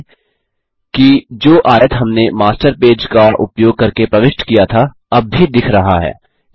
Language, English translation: Hindi, Notice, that the rectangle we inserted using the Master page, is still visible